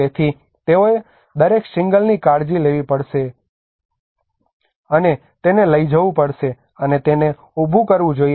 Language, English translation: Gujarati, So they have to take care of each and every shingle out, and carry it, and place it, and erect it